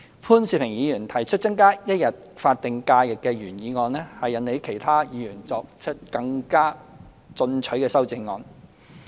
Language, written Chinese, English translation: Cantonese, 潘兆平議員提出增加一天法定假日的原議案，引起了其他議員更進取的修正案。, Mr POON Siu - pings original motion to provide an additional statutory holiday has attracted more aggressive amendments from other Members